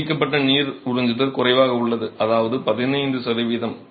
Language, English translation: Tamil, 5 water absorption permitted is lesser which is 15 percent